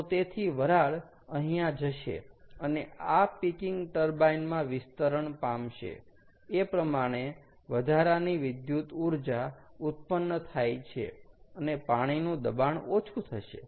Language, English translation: Gujarati, ok, so, therefore, the steam will go here and will be expanded in this peaking turbine, thereby generating additional electricity, and the pressure of the water is going to go down